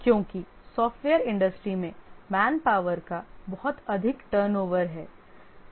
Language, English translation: Hindi, Because there is a lot of manpower turnover in software industry